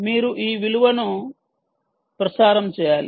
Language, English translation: Telugu, you need to transmit this value